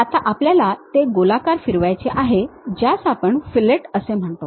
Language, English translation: Marathi, Now, we want to round it off then we call fillet